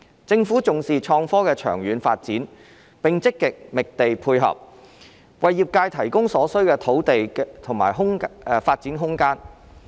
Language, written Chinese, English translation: Cantonese, 政府重視創科的長遠發展，並積極覓地配合，為業界提供所需的土地和發展空間。, The Government attaches great importance to the long - term development of IT and actively identifies land to provide the necessary operating space for the development of the industry